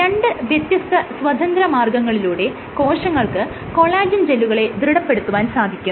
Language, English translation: Malayalam, So, you see that there are two independent ways in which you can in which cells can different collagen gels